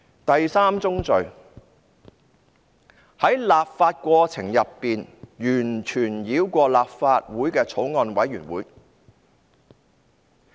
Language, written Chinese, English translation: Cantonese, 第三宗罪，是在立法過程中完全繞過立法會的法案委員會。, Crime number three is that it bypassed the Legislative Councils Bills Committee in the process of legislation